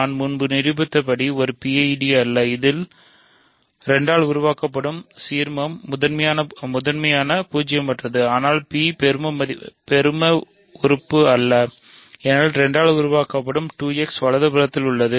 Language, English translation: Tamil, So, this is not a PID as I proved earlier and in this there are the ideal P which is generated by 2 is prime non zero, but P is not maximal right because P which is generated by 2 is contained in 2 X right